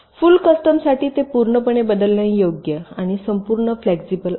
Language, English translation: Marathi, but for full custom it is entirely variable, entirely flexible cell type